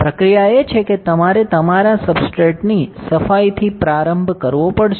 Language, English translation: Gujarati, The procedure is you had to start with cleaning of your substrate